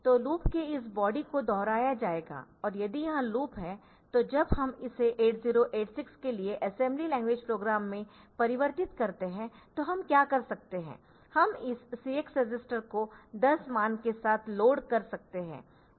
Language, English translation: Hindi, So, this body of the loop will be repeated and if this is the loop so, in case of assembly when I convert it into assembly level a program for 8086 what I can do I can load this CX register with the value 10 by having instructions like say MOV CX comma hash 10